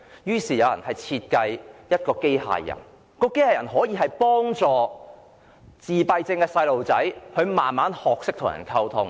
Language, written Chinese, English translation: Cantonese, 有人便設計出一款機械人，可以幫助自閉症小朋友逐漸學懂與人溝通。, Some people designed a robot to help autistic children gradually learn how to communicate with people